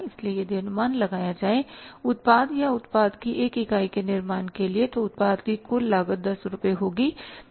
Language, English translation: Hindi, So, if the maybe had estimated that for manufacturing the product or one unit of the product say the total cost of the production would be 10 rupees